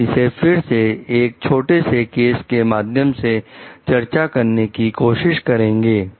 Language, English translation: Hindi, We will try to see again discuss this with the help of a small case